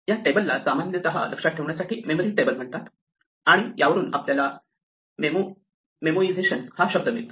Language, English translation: Marathi, This table is normally called a memory table to memorize; and from this, we get this word memoization